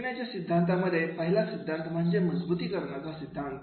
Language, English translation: Marathi, In learning theory, the first theory is the reinforcement theory